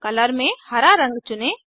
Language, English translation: Hindi, Select Color as Green